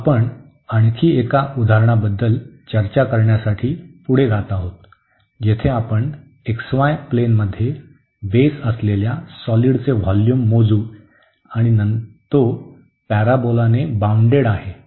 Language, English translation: Marathi, So, we move further to discuss another example where again we will compute the volume of the solid whose base is in the xy plane, and it is bounded by the parabola